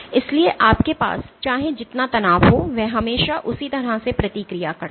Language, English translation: Hindi, So, no matter how much strain you have it always responds in the same way